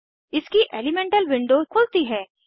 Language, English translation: Hindi, Now lets learn about Elemental window